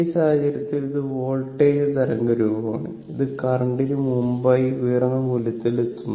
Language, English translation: Malayalam, So, in that case this is the voltage wave form, it is reaching peak value earlier before the current